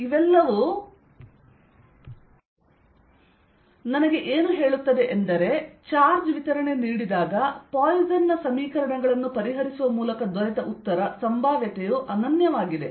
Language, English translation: Kannada, what that tells me is that, and given a charge distribution, the potential, the answer given by solving poisson's equations is unique